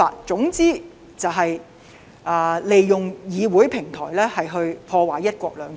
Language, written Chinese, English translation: Cantonese, 總言之，就是利用議會平台來破壞"一國兩制"。, They made use of the District Council as a platform to undermine one country two systems . Some even insulted the nation